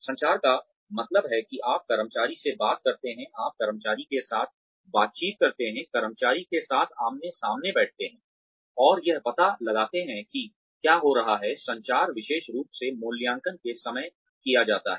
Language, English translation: Hindi, Communication means, that you talk to the employee, you interact with the employee, sit face to face with the employee, and find out, what is going on within, communication, especially at the time of appraisal